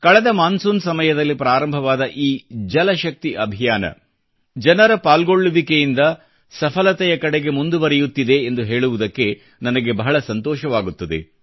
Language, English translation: Kannada, It gives me joy to let you know that the JalShakti Campaign that commenced last monsoon is taking rapid, successful strides with the aid of public participation